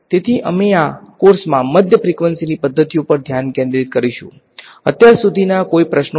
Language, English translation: Gujarati, So, we will focus on this the mid frequency methods in this course any questions so far